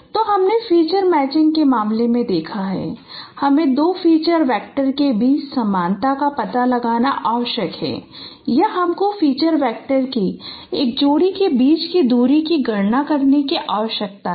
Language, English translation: Hindi, So we have seen in the case of feature matching we required to find out similarities between two feature vectors or you need to compute distances between a pair of feature vectors